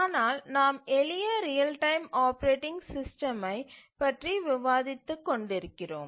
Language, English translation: Tamil, So, this is the simplest real time operating system